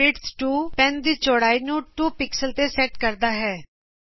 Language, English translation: Punjabi, penwidth 2 sets the width of the pen to 2 pixels